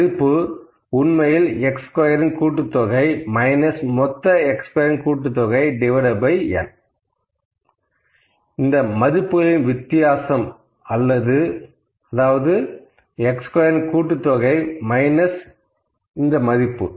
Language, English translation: Tamil, So, we call summation of x square minus summation of x whole square, this is summation of x squared actually, summation of x squared minus summation of x whole square by n and this whole the difference of this divided by n minus 1